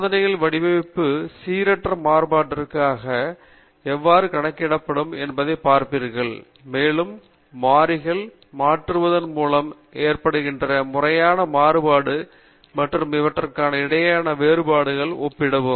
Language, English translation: Tamil, The design of experiments you will see how to account for the random variability, and also the systematic variability caused by changing the variables, and compare the differences between the two